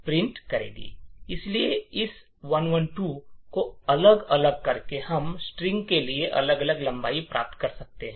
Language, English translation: Hindi, So, by varying this 112, we could actually get different lengths for the string